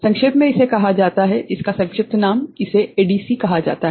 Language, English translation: Hindi, In brief it is called, the abbreviation, it is called ADC right